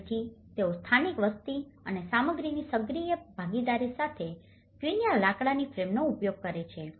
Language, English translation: Gujarati, Again, they use the quincha timber frame with the active participation of local population and materials